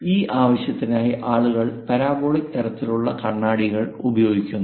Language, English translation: Malayalam, For that purpose also people go with parabolic kind of mirrors